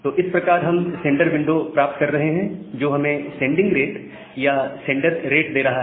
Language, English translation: Hindi, So, that way and thus we are getting the sender window that is giving you the sending rate or the sender rate